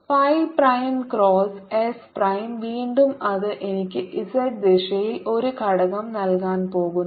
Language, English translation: Malayalam, phi prime cross s is in the same x y plane, is going to give me a component in the z direction